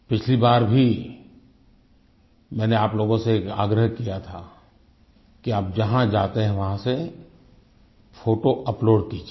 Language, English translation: Hindi, Last time too, I had requested all of you to upload photographs of the places you visit